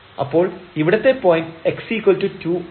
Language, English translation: Malayalam, So, x square this will become 4